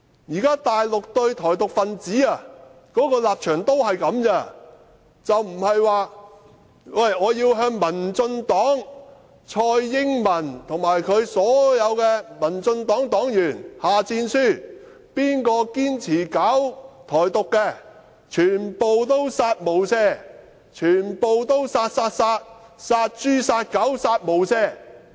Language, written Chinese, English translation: Cantonese, "現時大陸對台獨分子的立場都只是這樣，不是說要對民進黨蔡英文及她所有黨員下戰書，誰堅持搞台獨，全部都"殺無赦"，全部都"殺，殺，殺"，殺豬、殺狗，"殺無赦"。, Meanwhile the Mainlands stance towards pro - independence Taiwanese is just like this rather than throwing down the gauntlet to TSAI Ing - wen of the Democratic Progressive Party and her party members threatening that those who insist on Taiwan independence are to be killed without mercy all be killed killed killed like pigs and dogs being killed without mercy